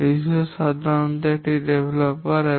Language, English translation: Bengali, The resource typically is a developer